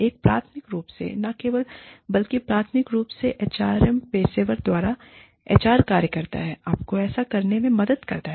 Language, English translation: Hindi, A primarily, not only but primarily, by the HR professional, the HR functions, help you do it